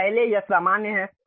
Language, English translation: Hindi, So, first normal to that